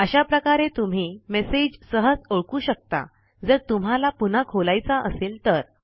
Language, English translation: Marathi, This way you can easily identify messages you want to open again